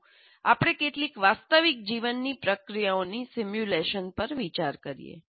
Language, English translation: Gujarati, Now, let us go to simulation of some some real life processes